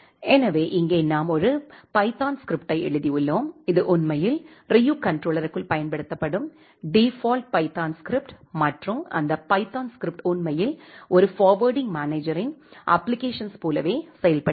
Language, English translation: Tamil, So, here we have written a python script, which is actually a default python script used inside the Ryu controller and that python script actually works like application of a forwarding manager